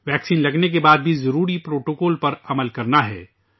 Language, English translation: Urdu, Even after getting vaccinated, the necessary protocol has to be followed